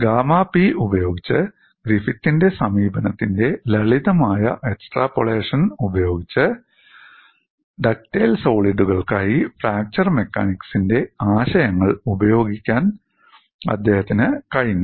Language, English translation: Malayalam, With the simple extrapolation of Griffith’s approach by using gamma P, he could apply concepts of fracture mechanics for ductile solids